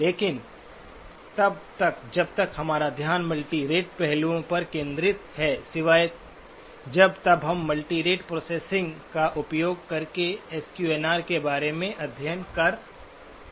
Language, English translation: Hindi, But by and large, since our focus is on the multirate aspects, except when we are studying about the enhancement of SQNR using the multirate processing